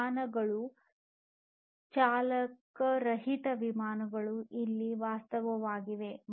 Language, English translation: Kannada, Aircrafts, driver less aircrafts are a reality now